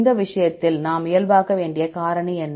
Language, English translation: Tamil, What is the factor we need to normalize, in this case